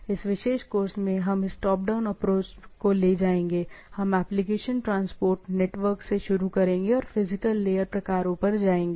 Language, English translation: Hindi, In this particular course, we will be taking this top down approach, we will start from application, transport, network and goes to the physical layer type of things